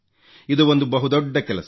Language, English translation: Kannada, This is an enormous task